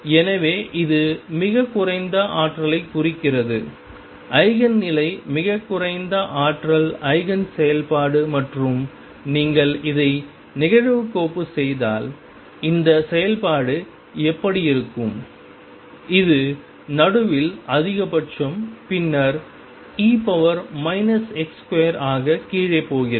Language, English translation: Tamil, So, this represents the lowest energy Eigen state lowest energy Eigen function and how does this function look if you plot it, it is maximum in the middle and then goes down as e raised to minus x square this is how it looks